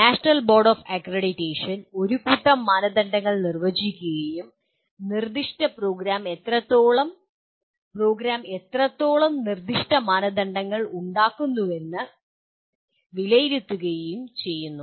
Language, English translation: Malayalam, The national board of accreditation defines a set of criteria and actually assesses to what extent the particular program is, to what extent the program is making the specified criteria